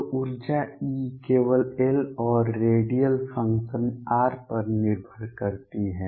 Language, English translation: Hindi, So, the energy E depends on L and radial function r only